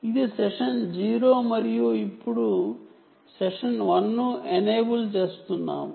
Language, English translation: Telugu, ok, so this is session zero and now we are enabling session one